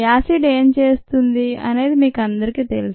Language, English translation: Telugu, you all know what an acid does